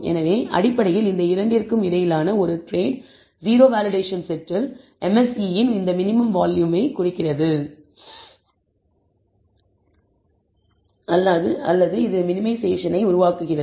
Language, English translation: Tamil, So, it is basically that trade o between these two that gives rise to this minimum value of the MSE on the validation set